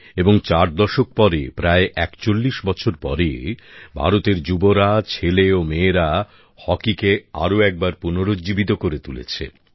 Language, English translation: Bengali, And four decades later, almost after 41 years, the youth of India, her sons and daughters, once again infused vitality in our hockey